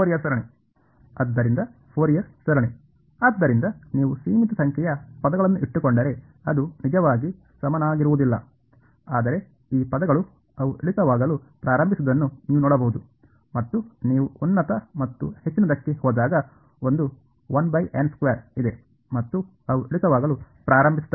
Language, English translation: Kannada, So, Fourier series, so if you keep finite number of terms it is not actually equal to that, but you can see these terms they begin to decay there is a 1 by n squared as you go to higher and higher and they begin to decay